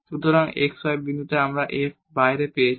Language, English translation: Bengali, So, that f at x y point we have just written outside